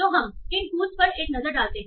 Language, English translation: Hindi, So let's see some examples